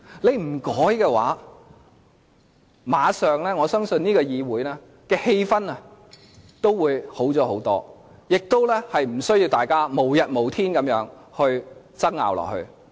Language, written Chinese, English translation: Cantonese, 這樣的話，我相信這個議會的氣氛立即會好轉，大家亦無需無止境地爭拗下去。, If this can at all be done I believe that the ambience in this Chamber will be improved right away as we do not have to argue incessantly